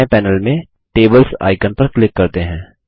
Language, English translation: Hindi, Let us click on the Tables icon on the left panel